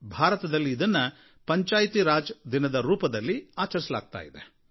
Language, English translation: Kannada, This is observed as Panchayati Raj Day in India